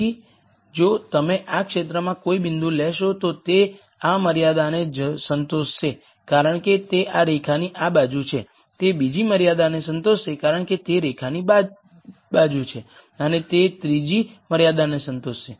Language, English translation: Gujarati, So, if you take a point any point in this region it will be satisfying this constraint because it is to this side of this line, it will satisfy the second constraint because it is to the side of the line and it will satisfy the third constraint because it is to this side of the line